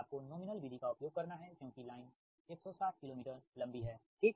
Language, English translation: Hindi, you have to use nominal pi method because line is one sixty kilo meter long, right